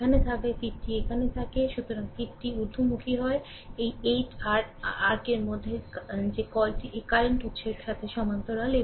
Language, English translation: Bengali, Arrow is here if plus is here, so arrow is upward, so this 8 ohm is in your what you call is in parallel with this current source